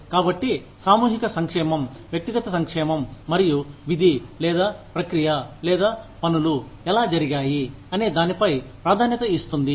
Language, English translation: Telugu, So, collective welfare takes precedence over, individual welfare, and over the duty, or the process, or how things were done